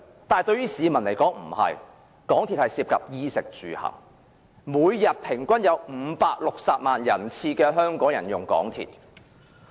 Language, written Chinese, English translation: Cantonese, 對於市民來說，港鐵涉及"衣、食、住、行"，香港每天平均有560萬人次乘坐港鐵。, To the general public MTR is closely related to their clothing food accommodation and transport . On average 5.6 million people take the MTR for daily commute